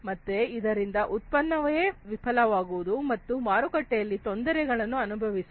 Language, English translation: Kannada, So, then the product itself will fail, and it will face problem in the market